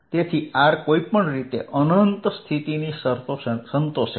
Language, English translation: Gujarati, so r equals infinity, condition anyway satisfied